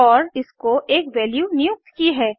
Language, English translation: Hindi, And I have assigned a value to it